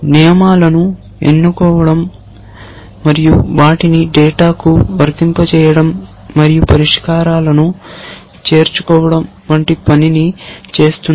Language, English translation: Telugu, Is the one which does the job of picking rules and applying them to data and arriving at the solutions essentially